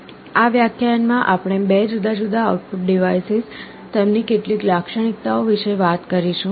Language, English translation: Gujarati, In this lecture we shall be talking about 2 different output devices, some of their characteristics